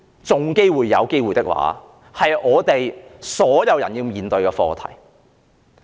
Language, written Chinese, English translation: Cantonese, 這是香港所有人均要面對的課題。, That is the issue faced by all Hong Kong people